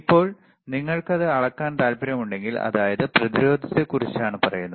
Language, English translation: Malayalam, Now, if we if you want to measure so, this is about the resistance